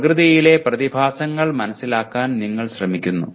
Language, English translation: Malayalam, So here what happens in science, you are trying to understand phenomena in the nature